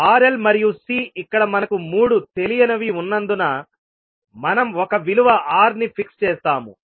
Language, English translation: Telugu, Since we have 3 unknown here R, L and C, we will fix one value R